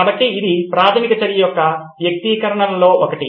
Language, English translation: Telugu, So this is one of the manifestations of preliminary action